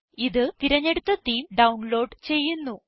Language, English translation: Malayalam, This will download the chosen theme